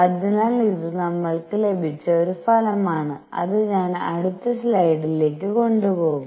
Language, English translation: Malayalam, So, this is a result which we have got which I will through take to the next slide